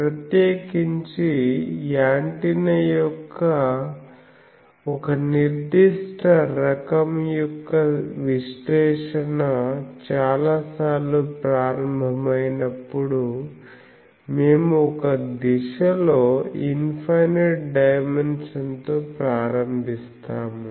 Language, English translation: Telugu, Particularly, if you actually when the analysis for a particular class of antenna starts many times we start with infinite dimension in one direction